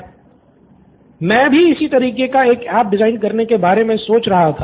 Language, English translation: Hindi, I was thinking about the same of designing an app like this